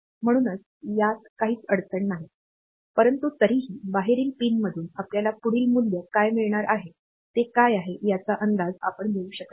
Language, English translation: Marathi, So, it does not have any issue, but still since it we cannot predict like what is the next value that we are going to get from the outside pin